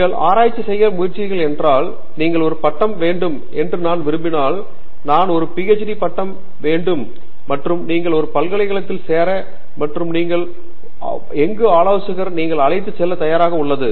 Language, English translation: Tamil, If you end up trying to do research, if you just say that I want a degree and I want a PhD degree and you just go join a university and you just pick up whichever advisor is willing to pick you up